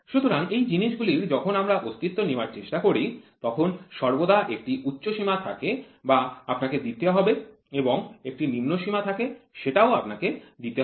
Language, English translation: Bengali, So, those things when we try to take into existence there is always an upper limit which you have to give and a lower limit which you have to give